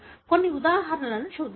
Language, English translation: Telugu, Let us see some of the examples